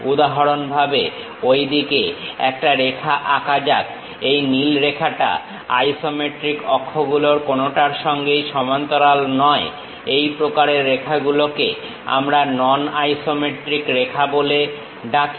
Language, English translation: Bengali, For example, let us draw a line in that way; this blue line is not parallel to any of these isometric axis, such kind of lines what we call non isometric lines